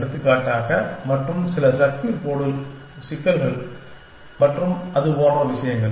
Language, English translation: Tamil, For example, and some circuit board problems and things like that